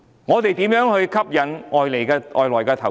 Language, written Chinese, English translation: Cantonese, 我們如何吸引外來投資？, How can we attract foreign investment?